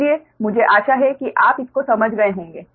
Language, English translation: Hindi, so i hope you have understood this right